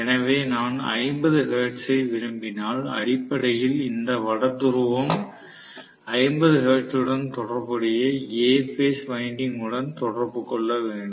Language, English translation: Tamil, So, if I want is 50 hertz, basically I should also have these North Pole coming into contact with A phase winding corresponding to 50 hertz